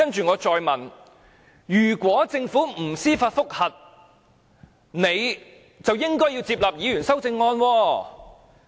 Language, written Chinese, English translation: Cantonese, 我再問，如果政府不提出上訴，就應該接納議員的修正案？, I asked then whether the Government should accept Members amendments if it does not lodge an appeal